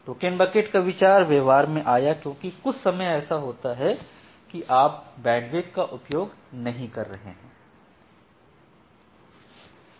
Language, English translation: Hindi, So, the idea of token bucket came into practice because sometime it happens that you are not utilizing the bandwidth